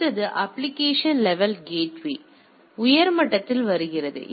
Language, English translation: Tamil, The next come the application level gateway or at the higher level